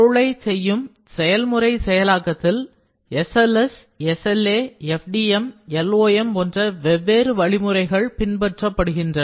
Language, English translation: Tamil, In processing, we have different processing, SLS, SLA then FDM, LOM and so on